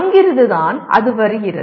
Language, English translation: Tamil, That is where it comes